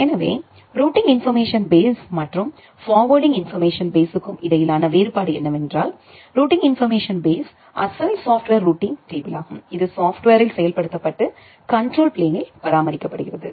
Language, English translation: Tamil, So, the difference between RIB and FIB is that the routing information base is the original software routing table which is a implemented in the software and maintained at the control plane